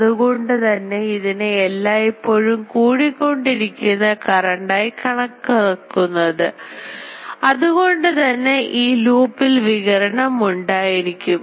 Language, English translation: Malayalam, So, that is why it is an always accelerating current; so, there will be radiation from the loop